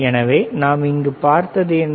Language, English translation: Tamil, So, what we have seen here